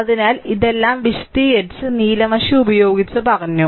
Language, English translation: Malayalam, So, all these things have been explained and told by blue ink, right